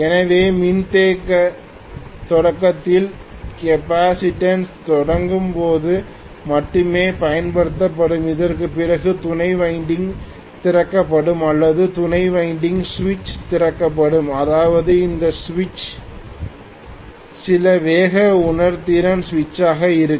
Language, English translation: Tamil, So in capacitance start, only during starting the capacitance will be used, after that auxiliary winding will be opened or auxiliary winding switch will be opened which means this switch will be some speed sensitive switch